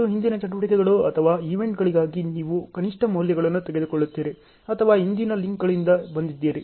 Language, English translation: Kannada, And for the previous activities or events you will take the minimum of the values or which has come from the preceding links